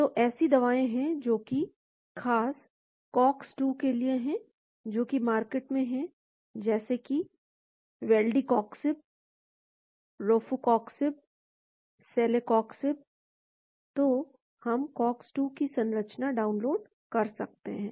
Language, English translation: Hindi, So, there are drugs which are very specific towards the Cox 2, which are in the market like Valdicoxib, Rofecoxib, Celecoxib, so we can download the structure of Cox 2